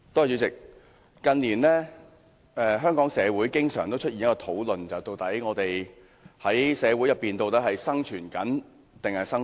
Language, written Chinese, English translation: Cantonese, 主席，近年來，香港社會經常討論，究竟我們是在社會上生存還是生活？, President in recent years members of the community have often discussed whether we are surviving or living in society